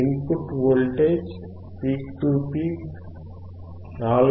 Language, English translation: Telugu, The input voltage peak to peak is 4